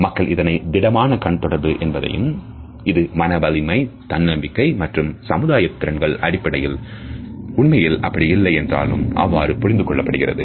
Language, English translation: Tamil, So, people would perceive this as strong eye contact and on the basis of this they would also attribute competence confidence and social skills to us even though we might not actually be possessing it